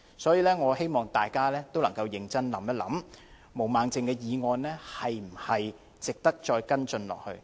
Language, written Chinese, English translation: Cantonese, 所以，我希望大家能夠認真考慮，毛孟靜議員提出的議案是否值得繼續跟進？, Hence I hope that Members will ponder seriously whether it is worthwhile to continue with any follow - up actions regarding this very motion moved by Ms Claudia MO